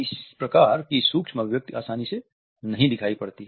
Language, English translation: Hindi, This type of micro expression is not easily observable